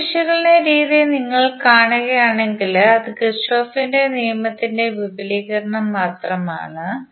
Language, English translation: Malayalam, It is if you see the mesh analysis technique it is merely an extension of Kirchhoff's law